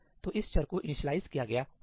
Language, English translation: Hindi, So, this variable would have been initialized